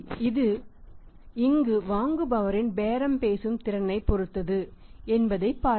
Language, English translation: Tamil, That it depends upon the bargaining capacity of the buyer also